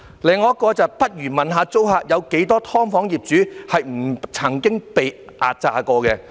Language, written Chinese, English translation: Cantonese, 另有一則留言："不如問一下租客，有多少'劏房'業主不曾壓榨過租客"。, There is another message Perhaps the Secretary should ask the tenants about how many landlords of SDUs have never ever exploited their tenants